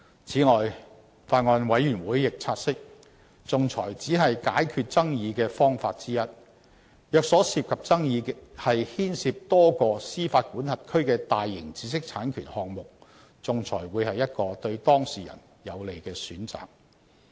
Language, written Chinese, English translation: Cantonese, 此外，法案委員會亦察悉，仲裁只是解決爭議的方法之一，若所涉爭議牽涉多個司法管轄區的大型知識產權項目，仲裁會是一個對當事人有利的選擇。, Besides the Bills Committee has also taken note that arbitration is just one of the methods for resolving disputes and that arbitration may be a favourable choice for parties who are disputing on large - scale IP projects involving several jurisdictions